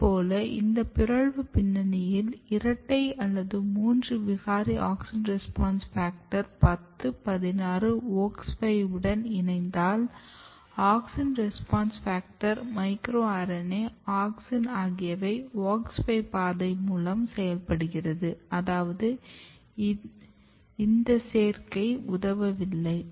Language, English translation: Tamil, Similarly, if you look this mutant background and if you look the complementation or if you make a double mutant triple mutant auxin response factor 10, 16 if you combine with the wox5 all this kind of things you can see here that these AUXIN RESPONSE FACTOR, micro RNA, auxin they all are working through the WOX5 path way which means that the combination is not basically helping in detail